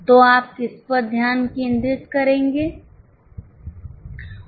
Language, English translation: Hindi, So, which one will you focus